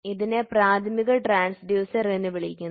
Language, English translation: Malayalam, Hence, it is termed as primary transducer